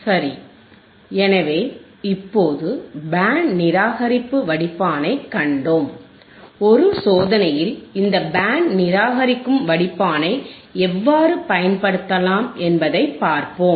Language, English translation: Tamil, Alright, so, just now we have seen band reject filter right and let us see how we can use this band reject filter by in an experiment in an experiment